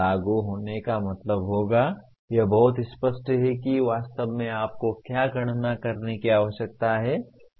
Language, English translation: Hindi, Implement would mean it is very clear what exactly you need to calculate